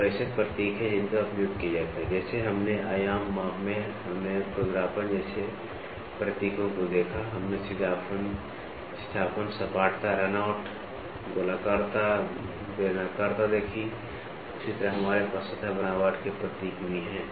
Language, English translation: Hindi, So, there are symbols which are used like, what we in the dimension measurement we saw symbols like roughness, we did saw straightness, flatness, runout, circularity, cylindricity same way we also have the symbols for surface texture